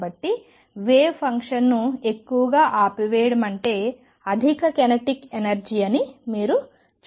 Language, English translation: Telugu, So, you can see right away that more wiggles more turning off the wave function around means higher kinetic energy